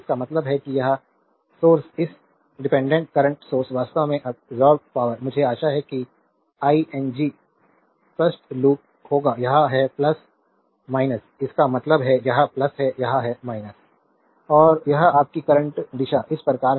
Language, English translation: Hindi, That means, this source this dependent current source actually absorbing power I hope you are understanding will be clear loop this is plus minus; that means, this is plus, this is minus